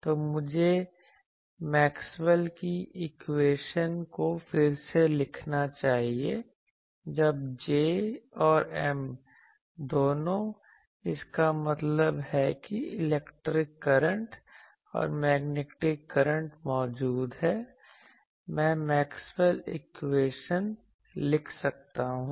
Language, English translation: Hindi, So, let me rewrite the Maxwell’s equation, when both J and M; that means, electric current and magnetic current are present I can write them Maxwell’s equation